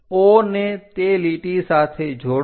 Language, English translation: Gujarati, Join O with that line